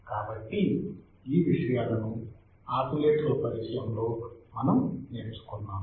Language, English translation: Telugu, So, these things we have learned in the introduction to the oscillators